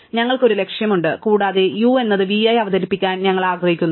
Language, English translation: Malayalam, So, we have a target and we want to introduce u to v